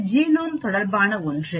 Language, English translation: Tamil, This is something related to Genome